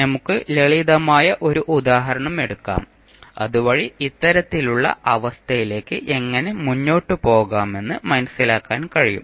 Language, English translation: Malayalam, Let us take one simple example, so that you can understand how we can proceed for this kind of condition